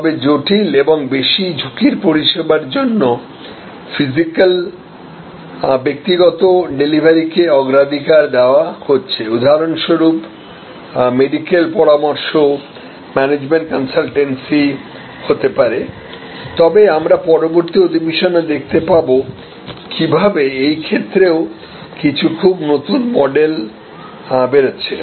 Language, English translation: Bengali, So, for complex and high risk services, physical personal delivery was preferred and that may still be the case like for example, medical consultation, management consultancy, but we will see in the next session how even there some very, very new models are emerging